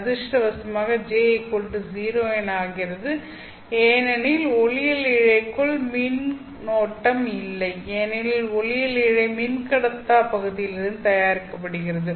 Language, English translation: Tamil, Luckily for us, J will be equal to zero because there is no current inside an optical fiber because optical fiber is made out of dielectric region